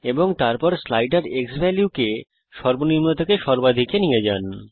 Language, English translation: Bengali, And then move the slider xValue from minimum to maximum